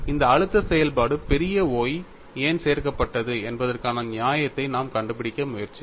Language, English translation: Tamil, We are trying to find a justification why this stress function capital Y is added